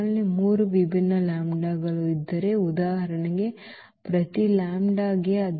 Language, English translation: Kannada, So, if we have 3 distinct lambdas for example so, for each lambda